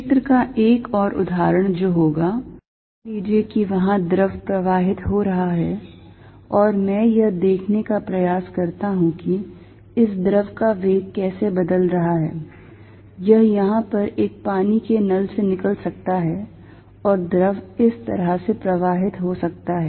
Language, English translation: Hindi, Another example of field is going to be, suppose there is fluid flowing and I try to see, how the velocity of this fluid is changing, this may be coming out of what a tap here and fluid may flow like this